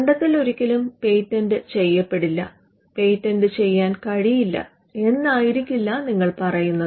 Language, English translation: Malayalam, You do not say that the invention is never patentable or you do not say that the invention cannot be patented